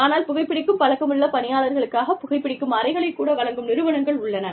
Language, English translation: Tamil, But, there are organizations, that even provide, smoking lounges for people, who are used to smoking